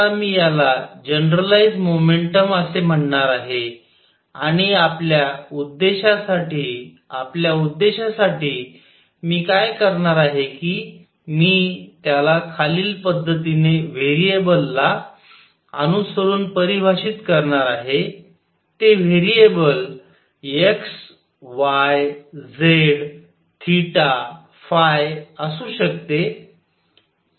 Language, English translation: Marathi, Now I am going to call this generalized momentum and for our purposes for our purposes what I am going to do is define it in the following manner corresponding to a variable that variable could be x, y, z theta, phi